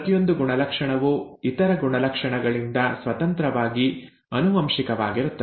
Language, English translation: Kannada, Each character is inherited independent of the other characters